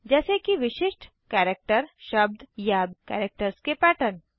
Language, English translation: Hindi, Such as particular characters, words or patterns of characters